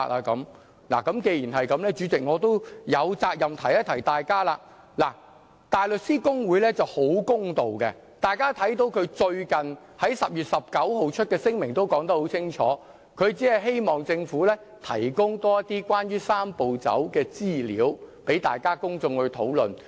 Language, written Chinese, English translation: Cantonese, 既然如此，主席，我有責任提醒大家，大律師公會是很公道的，大家看到它最近在10月19日發出的聲明說得很清楚，只希望政府提供更多關於"三步走"的資料，讓公眾討論。, In the light of this President I have the responsibility to remind Members that the Bar Association is very fair . As we can see in the statement released on 19 October the Bar Association says very clearly that it only wants the Government to supply more information pertaining to the Three - step Process for discussion by the public